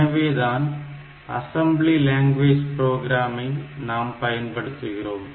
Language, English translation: Tamil, So, they are the assembly language program